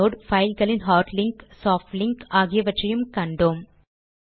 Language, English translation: Tamil, We also learnt about the inode, soft and hard links of a file